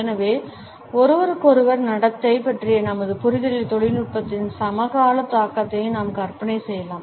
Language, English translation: Tamil, So, we can imagine the contemporary impact of technology in our understanding of interpersonal behaviour